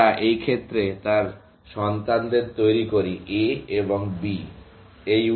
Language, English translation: Bengali, We generate its children, in this case; A and B